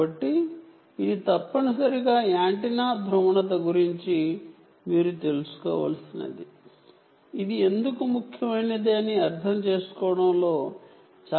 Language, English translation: Telugu, ok, so this is essentially what you should know about the antenna polarization, which is a very critical part of the of understand